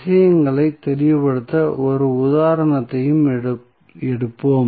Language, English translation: Tamil, And we will also take 1 example to make the things clear